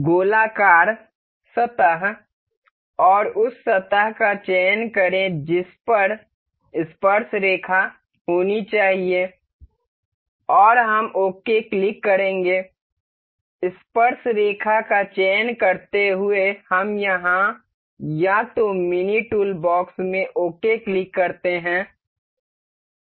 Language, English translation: Hindi, Select the circular surface and the surface it has to be tangent upon, and we will click ok, selecting tangent, we click ok here or either in the mini toolbox, finish